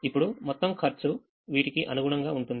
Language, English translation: Telugu, now the total cost will be corresponding to these